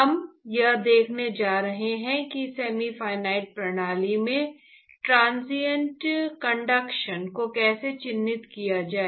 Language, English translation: Hindi, So, we are going to look at how to characterize the transient conduction in semi infinite system